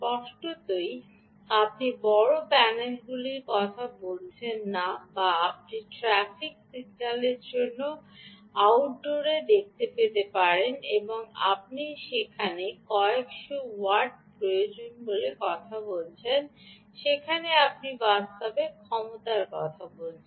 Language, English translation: Bengali, clearly, you are not talking of large panels which you might have seen in outdoor for traffic signals and all that where you are talking of a few hundreds of watts that would be required